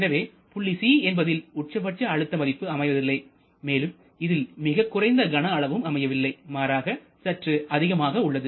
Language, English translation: Tamil, So, the pressure at Point c is lower and also the volume at Point c is not the smallest possible volume rather it is a bit higher